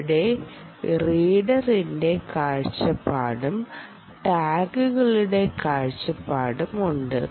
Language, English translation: Malayalam, here is the readers view and here is the tags view